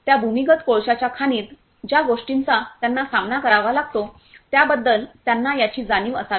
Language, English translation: Marathi, This should be aware of the things that they are going to face inside that underground coal mine